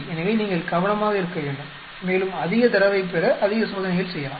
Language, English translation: Tamil, So, you better watch out, may be do more experiments to get more data